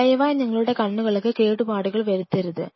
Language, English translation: Malayalam, So, do not damage your eyes please